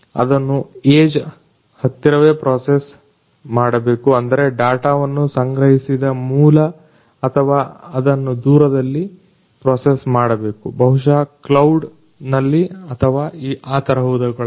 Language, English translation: Kannada, They have to be processed close to the age, that means, the source from where they are being collected or they have to be processed you know far away from it may be in a cloud or somewhere like that